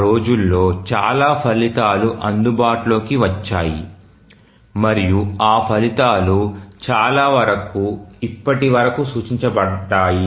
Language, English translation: Telugu, Lot of results became available during those days and many of those results are even referred till now